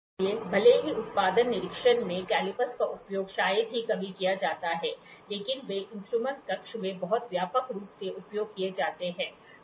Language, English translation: Hindi, So, even though calipers are rarely used in the production inspection, they are very widely used in the tool room